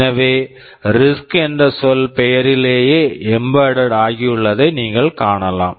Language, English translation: Tamil, So, you see in the name itself the word RISC is embedded